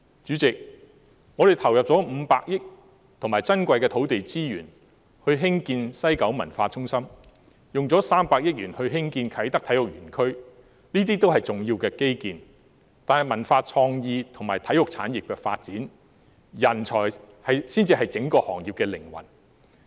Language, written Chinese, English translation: Cantonese, 主席，我們投入了500億元和珍貴的土地資源興建西九文化中心，又花了300億元興建啟德體育園區，這些均是重要的基建，但在文化創意及體育產業的發展中，人才才是整個行業的靈魂。, President we have injected 50 billion and precious land resources for the construction of the West Kowloon Cultural District and spent 30 billion on the construction of the Kai Tak Sports Park . These are important infrastructure . Yet in the development of the cultural creative and sports industries talent is the soul of the whole industry